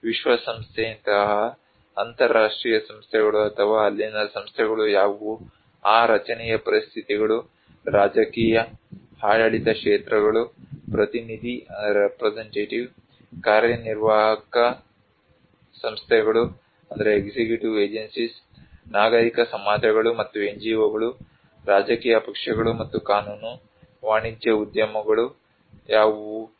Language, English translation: Kannada, International like United Nations or institutions like what are the institutions there, what are the conditions of that structure, political, administrative sectors, representative, executive agencies, civil societies and NGOs, political parties and law, commercial enterprise